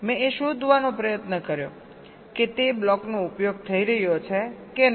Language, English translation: Gujarati, i tried to find out whether or not that block is being used